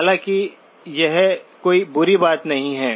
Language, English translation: Hindi, However, this is not a bad thing